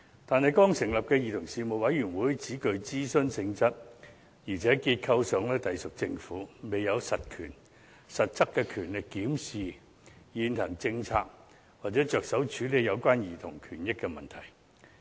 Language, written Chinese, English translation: Cantonese, 但是，剛成立的委員會只具諮詢性質，而且結構上隸屬政府，未有實質權力檢視現行政策或着手處理有關兒童權益的問題。, However the newly formed Commission is only an advisory body under the Administration with no substantive powers to review existing policies or address issues relating to childrens rights